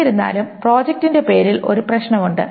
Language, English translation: Malayalam, However, project name has a problem